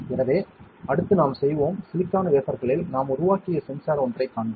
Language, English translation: Tamil, So, next we will do, we will see one sensor that we have made on silicon wafer